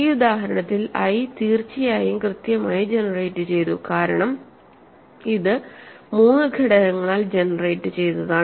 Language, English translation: Malayalam, I is in this example certainly finitely generated because it is generated by three elements